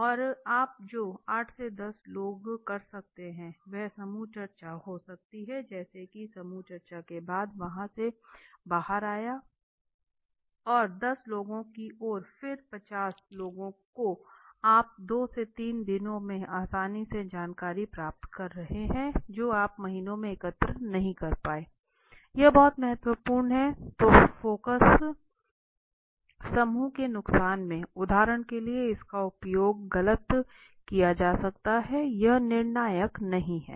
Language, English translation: Hindi, And the 8 10 people you can do may be the multiple group discussion like that I am come out the and there after group discussion and the ten then people each and then fifty people you are getting the information in the two three times day easily what you have not collected in the months time right that it is very important advantage so the disadvantage of the focus group is for the example in the it can be misutilized it is not conclusive